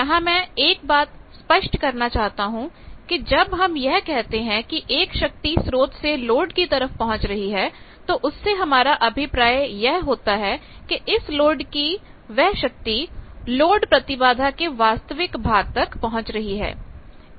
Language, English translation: Hindi, Here I want to clarify one point, that when we say power delivered from source to load basically we mean power delivered from source to real part of load impedance; that means, basically the power that we deliver to the R L of the load